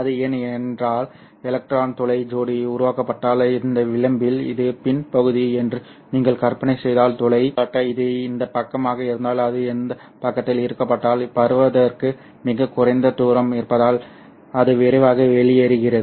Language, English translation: Tamil, Because if you imagine that this is the P I N region, at this edge if you have an electron hole pair generated, whole, for example, if it is onto this side, if it gets attracted to this side has very little distance to propagate